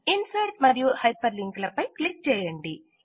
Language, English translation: Telugu, Click on Insert and Hyperlink